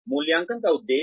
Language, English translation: Hindi, The aims of appraisal